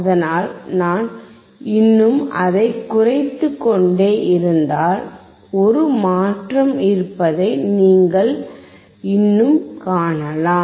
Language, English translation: Tamil, So, if I still go on decreasing it, you can still see there is a change